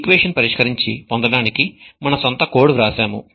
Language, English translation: Telugu, We wrote our own code in order to solve this equation and find the solution